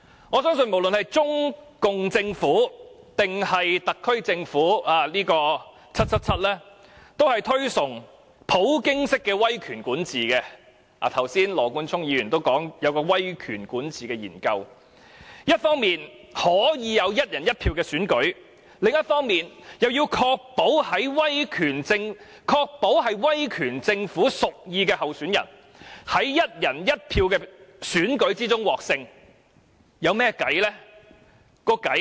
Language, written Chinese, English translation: Cantonese, 我相信無論是中共政府，還是特區政府 ，"777" 都是推崇普京式的威權管治——剛才羅冠聰議員也提到，有一項威權管治的研究——一方面可以有"一人一票"的選舉，另一方面，又要確保是威權政府屬意的候選人，在"一人一票"的選舉中獲勝。, I believe that no matter the Chinese Communist Government or the HKSAR Government 777 thinks highly of the PUTIN style authoritative governance―just now Mr Nathan LAW has also mentioned that there is a study about authoritative governance―on the one hand we may have the one person one vote election but on the other they need to ensure that the candidate preferred by the authoritative government would win in the one person one vote election